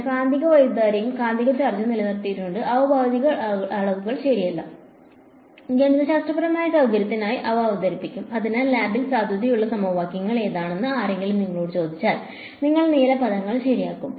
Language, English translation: Malayalam, I have retained the magnetic current and the magnetic charge keeping in mind that they are not physical quantities ok, they will they are introduced for mathematical convenience ok; so, if someone asks you what are the equations that are valid in lab you will drop the blue terms ok